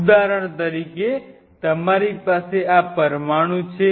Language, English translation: Gujarati, For example, you have this molecule out here